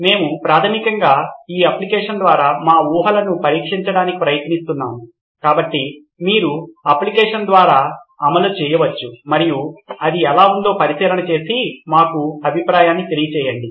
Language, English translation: Telugu, We are trying to test our assumptions through this app basically, so you can just run through the app and give us a feedback on how it is